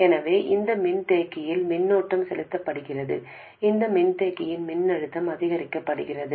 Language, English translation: Tamil, So, current is being pumped into this capacitor, the voltage across this capacitor goes up